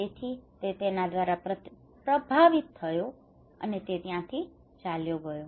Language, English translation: Gujarati, So he was influenced by him, and he left